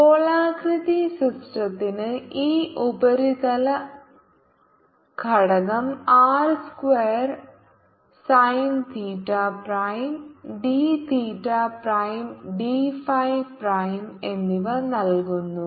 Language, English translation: Malayalam, this spherical element is given by r square time theta prime and d theta prime, d phi prime